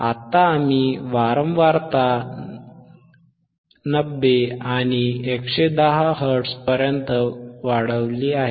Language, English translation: Marathi, So now, we increase it from, 50 to 70 hertz